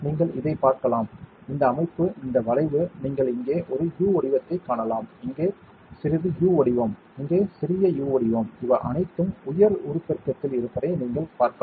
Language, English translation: Tamil, You can see this, this structure this curvature right, you can see a U shape here, slight U shape here, slight U shape here, these are all at high magnification you can see it